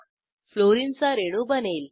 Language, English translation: Marathi, Fluorine molecule is formed